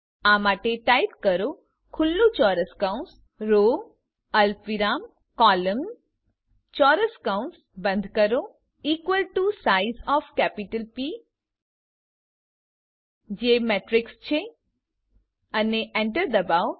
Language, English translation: Gujarati, for this type open square bracket row comma column close the sqaure bracket is equal to size of capital p which is matrix and press enter